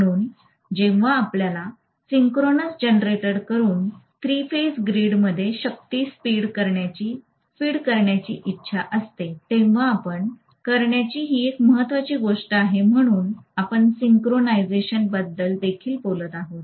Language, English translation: Marathi, So this is an important thing we need to do when we want to feed power from the synchronous generator into the three phase grid, so we will be talking about the synchronization as well